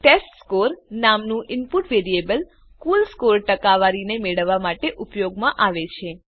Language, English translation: Gujarati, The input variable named testScore is used to get the score percentage